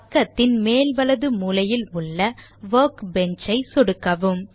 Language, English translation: Tamil, Click Workbench which is at the top right corner of the page